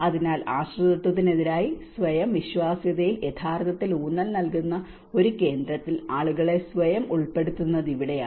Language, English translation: Malayalam, So, this is where the putting people in self in a center which actually emphasizes on self reliability versus with the dependency